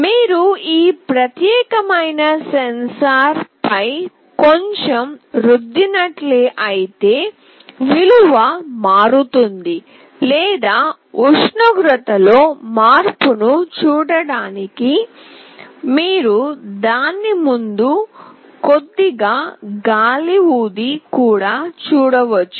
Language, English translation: Telugu, If you rub this particular sensor a bit, the value changes or you can just blow a little bit in front of it to see the change in temperature